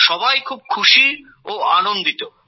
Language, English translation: Bengali, All are delighted